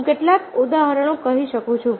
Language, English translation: Gujarati, i can say some example